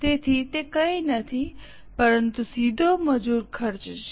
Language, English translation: Gujarati, So, it is nothing but the direct labor cost